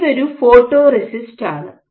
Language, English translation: Malayalam, So, this is a photoresist